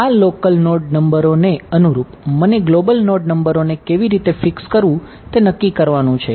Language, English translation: Gujarati, Now corresponding to these local node numbers, I get to choose how to decide to fix the global node numbers ok